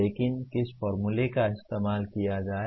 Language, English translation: Hindi, But what kind of formula to be used